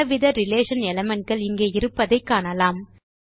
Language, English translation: Tamil, Notice the various relation elements here